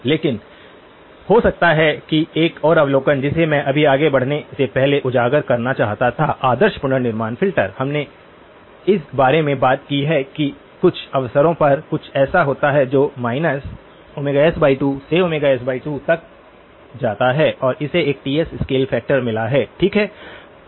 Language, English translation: Hindi, But maybe one more observation which I just wanted to highlight before we move on, the ideal reconstruction filter, we have talked about that on a couple of occasions is something that goes from minus omega s by 2 to omega s by 2 and has got a scale factor of Ts, okay